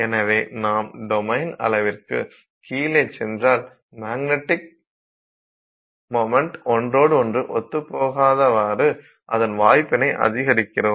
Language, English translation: Tamil, So, but if you go below the domain size then you are increasing the chances that the magnetic moments will not align with each other